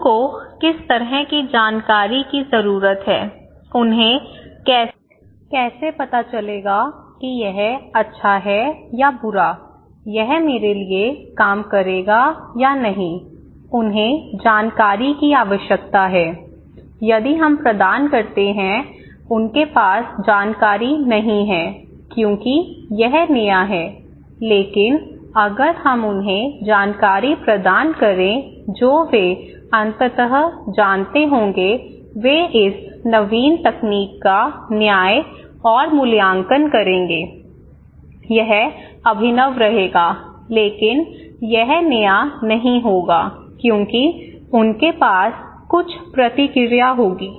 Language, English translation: Hindi, So, what kind of information people then need, how they would know that okay, this is good or bad, this has this will work for me or not, they need information, right, if we provide, they do not have the information because this is new, but if we provide them information they would eventually know, they would judge and evaluate this innovative technology, this will remain innovative, but this would not be that new, because they would have some feedback